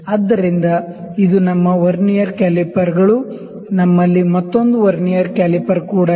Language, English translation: Kannada, So, this is our Vernier calipers, we also have another Vernier caliper